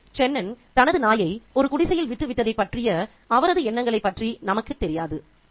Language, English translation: Tamil, So, we do not know the thoughts of Chenon on having left his dog in a marooned hut